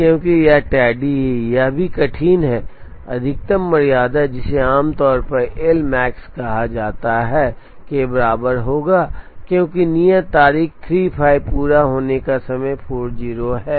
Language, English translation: Hindi, Because, this is tardy, this is also tardy, maximum tardiness which is usually called L max will be equal to 5 because the due date is 35 completion time is 40